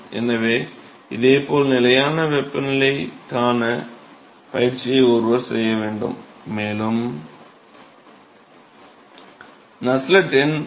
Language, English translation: Tamil, So, similarly one should do exercise for the constant temperature case and one would find that Nusselt number will be about 3